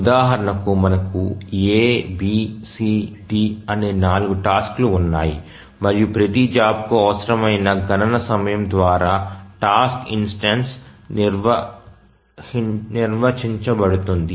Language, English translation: Telugu, So, we have four tasks A, B, C, D and each task, sorry, each job the task instance is defined by the computation time required